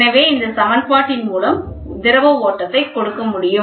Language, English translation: Tamil, So, the flow can be given by this equation